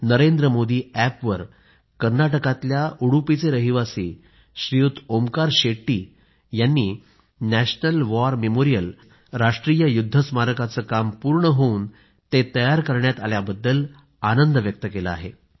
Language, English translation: Marathi, On the Narendra Modi App, Shri Onkar Shetty ji of Udupi, Karnataka has expressed his happiness on the completion of the National War Memorial